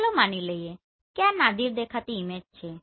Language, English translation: Gujarati, So let us assume this is the Nadir looking image